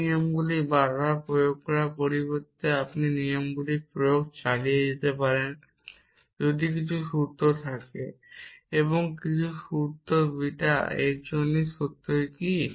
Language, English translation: Bengali, Instead of having to apply these rules repeatedly you can keep applying the rules if some formula l for and some formula beta for what is the truthfully of this